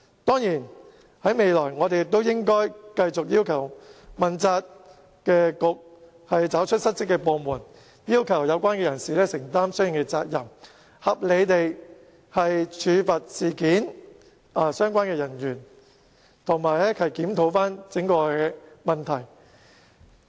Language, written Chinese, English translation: Cantonese, 當然，未來我們應該繼續要求當局問責，找出失職部門，要求有關人士承擔相應責任，合理地處罰與事件相關人員，以及檢討整個問題。, Of course in the future we should continue to ask the Administration to assume responsibility to find out the department which was in dereliction of duty and request the relevant persons to take the responsibility to mete out punitive measures to the persons involved and to review the entire issue